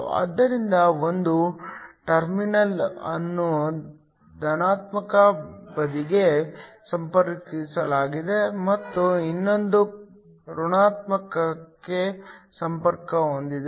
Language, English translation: Kannada, So, one of the terminals is connected to a positive side the other is connected to a negative